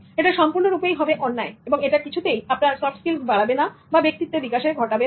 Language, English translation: Bengali, It will be completely unfair and it's unbecoming of your personality and developing your soft skills